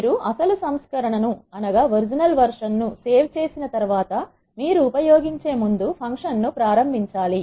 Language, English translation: Telugu, Once you save the original version also you have to invoke the function before you use